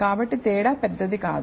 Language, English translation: Telugu, So, the difference is not huge